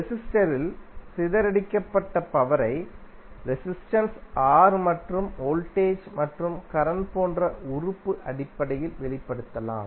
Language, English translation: Tamil, The power dissipated in resistor can be expressed in term of the element like resistance R and the voltage, and current